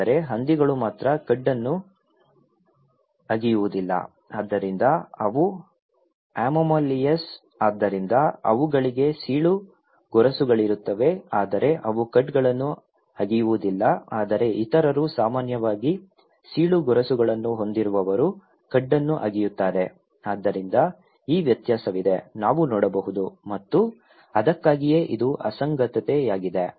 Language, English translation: Kannada, But only pig they donít do chewing the cud, so thatís why they are anomalies okay, so they have cloven hooves but they do not chew the cud but other those who have cloven hooves generally they do chew the cud, so thatís the difference we can see and thatís why it is an anomaly